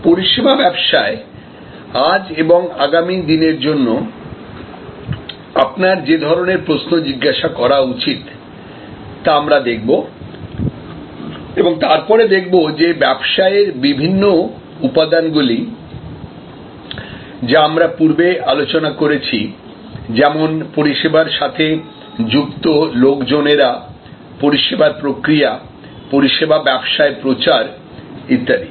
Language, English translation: Bengali, We will look at the kind of questions you should ask for today and for our tomorrow in our service businesses and then, we will see how the different elements of business that we have discussed earlier like people in services, like the process in services, like the promotion in service businesses